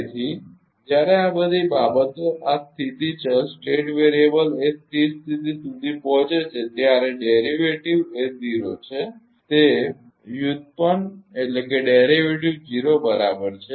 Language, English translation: Gujarati, So, when all these things all these state variable reaches to a steady state the derivative is 0 the derivative is 0 right